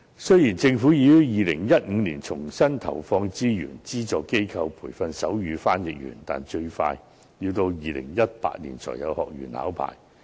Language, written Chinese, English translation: Cantonese, 雖然，政府已於2015年重新投放資源，發放資助予不同機構培訓手語傳譯員，但最快要到2018年才有學員考牌。, Although the Government has already redeployed resources and given subsidies to different organizations for training sign language interpreters since 2015 the students will only be ready to sit for the assessment in 2018 the soonest